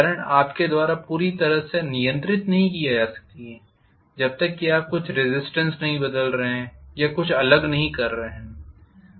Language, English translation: Hindi, Current is not really controlled by you completely unless you are varying some resistance or something